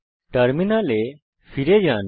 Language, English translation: Bengali, Switch back to the terminal